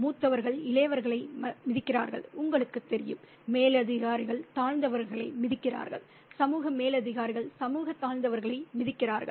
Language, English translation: Tamil, Seniors trampled down on the juniors, you know, the superiors trampled down on the inferior's, the social superiors trampled down on the social inferior's